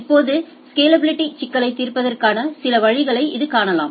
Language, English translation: Tamil, Now, so this is this way we can look at some way of addressing the scalability issues